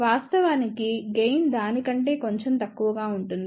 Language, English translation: Telugu, In fact, gain will be slightly less than that